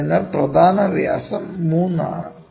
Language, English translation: Malayalam, So, major diameter is 3 this is 3